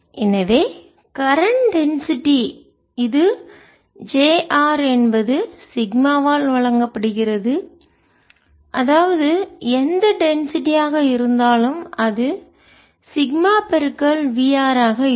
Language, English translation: Tamil, so current density, which is j r, is given by sigma, means whatever density is there, sigma into v r